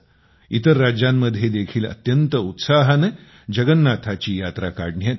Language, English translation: Marathi, In other states too, Jagannath Yatras are taken out with great gaiety and fervour